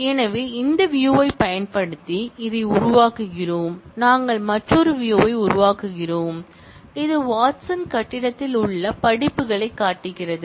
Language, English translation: Tamil, So, creating this using this view, we are creating yet another view, which shows the courses that ran in the Watson building